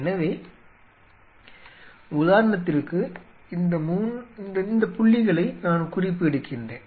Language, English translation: Tamil, So, you see or say for example, so let me jot down these points ok